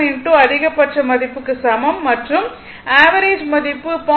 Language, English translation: Tamil, 707 into maximum value and the average value is equal to 0